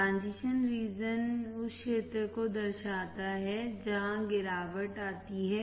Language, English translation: Hindi, Transition region shows the area where the fall off occurs